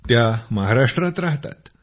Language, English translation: Marathi, She is a resident of Maharashtra